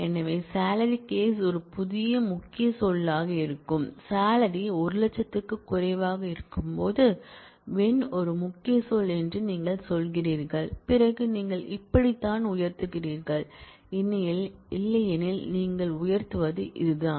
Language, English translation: Tamil, So, you say when salary case is a new keyword, when is a key word when salary is less than equal to 100,000, then this is how you hike otherwise this is how you hike